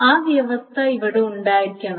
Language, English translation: Malayalam, So that condition must be present here